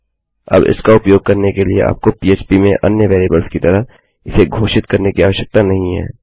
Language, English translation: Hindi, Now, to create the use for this, you dont need to declare it, as the other variables in Php